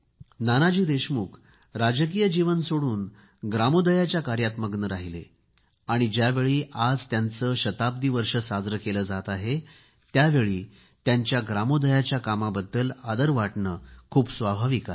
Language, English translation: Marathi, Nanaji Deshmukh left politics and joined the Gramodaya Movement and while celebrating his Centenary year, it is but natural to honour his contribution towards Gramodaya